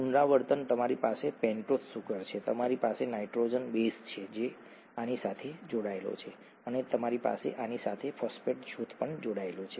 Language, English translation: Gujarati, Repeating; you have a pentose sugar, you have a nitrogenous base that is attached to this, and you have a phosphate group attached to this